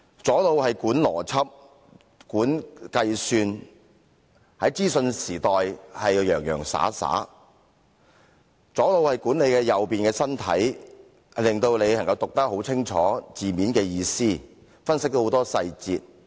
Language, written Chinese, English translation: Cantonese, 左腦管理邏輯、計算，在資訊時代要洋洋灑灑；左腦亦管理右邊的身體，令自己能清楚解讀字面的意思，分析很多細節。, The left brain governs logic and arithmetics so that we may cope well in the information age . The left brain also governs the right side of the body so that we may have a clear comprehension of literal meaning and analyse a great deal of details